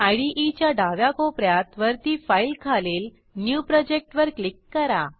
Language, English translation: Marathi, On the top left corner of the IDE, Click on File and click on New Project